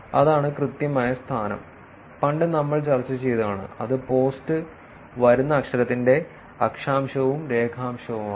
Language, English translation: Malayalam, That is the exact location, which we have discussed in the past, which is latitude, longitude of the post from where the post is coming